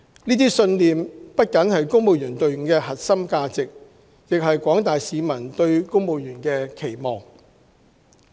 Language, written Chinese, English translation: Cantonese, 這些信念不僅是公務員隊伍的核心價值，更是廣大市民對公務員的期望。, They are not only the core values of the civil service but also what the general public expects of civil servants